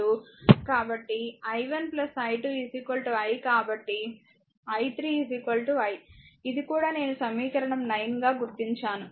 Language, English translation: Telugu, So, i 1 plus i 2 is equal to i therefore, i 3 is equal to i, this is also I have marked as equation 9